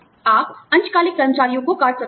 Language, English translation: Hindi, You could cut, part time employees